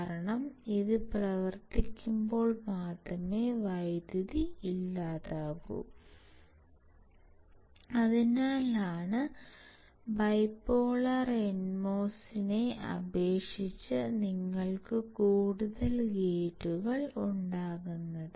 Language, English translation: Malayalam, Because only when it operates then only the power is dissipated and that is why you can have more gates compared to bipolar NMOS